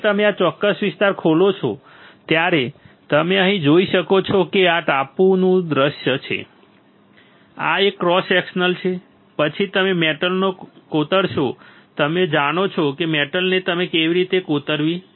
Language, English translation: Gujarati, When you open this particular area you can see here this is the top view, this is a cross section, then you etch the metal then you etch the metal you know how to etch the metal now right